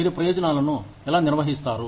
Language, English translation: Telugu, How do you administer benefits